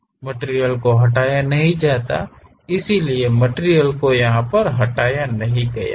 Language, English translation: Hindi, Material is not removed; so, material is not removed